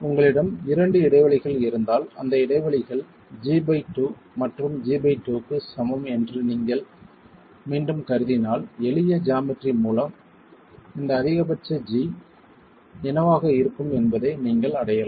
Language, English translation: Tamil, If you have two gaps each assuming again that the gaps are equal G by 2 and G by 2 you can arrive at what this maximum G is going to be by simple geometry